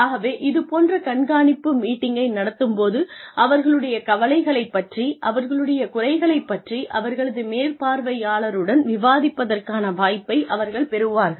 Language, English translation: Tamil, So, these monitoring meetings give them, a chance to open up, to discuss their concerns, to discuss their limitations, with the supervisor